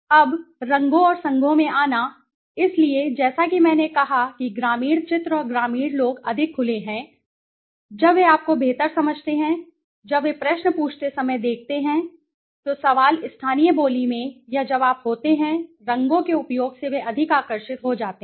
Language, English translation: Hindi, Now, coming to the colors and association, so as I said rural images and rural people are more open when they understand you much better, when they look at when you ask questions, the question has to be in a local dialect or when you are using colors they become more attracted right